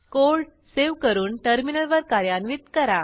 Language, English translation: Marathi, Lets save the code and execute it on the terminal